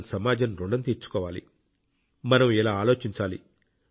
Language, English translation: Telugu, We have to pay the debt of society, we must think on these lines